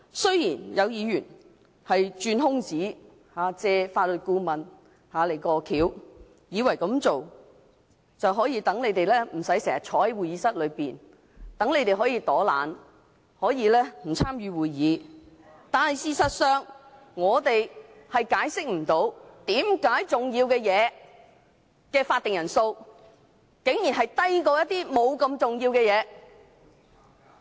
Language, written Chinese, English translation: Cantonese, 雖然有議員鑽空子，"借法律顧問過橋"，以為這樣做，他們便不用經常坐在會議廳內，可以躲懶，可以不參與會議，但事實上，我們無法解釋，為甚麼重要的全體委員會法定人數，竟然低於處理不太重要事項的會議。, Some Members have exploited the loophole and used the former Counsel to the Legislature as the pretext thinking that the proposal can spare them the need to sit in the Chamber all the time and enable them to slack off or be absent from certain proceedings . But actually they cannot explain why the quorum for the important procedure of the committee of the whole Council should be lower than the quorum for proceedings for dealing with matters of lower importance